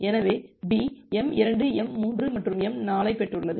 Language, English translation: Tamil, So, B has received m2, m3 and m4